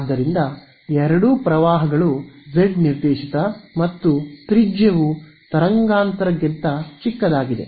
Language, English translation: Kannada, So, both currents are z directed and radius is much smaller than wavelength ok